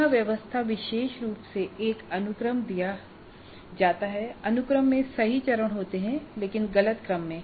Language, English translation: Hindi, Then rearrangements, particularly a sequence is given and the sequence contains the right steps but in wrong order